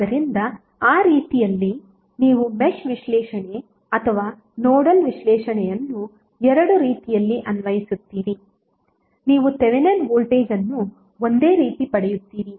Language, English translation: Kannada, So in that way either you apply Mesh analysis or the Nodal analysis in both way you will get the Thevenin voltage same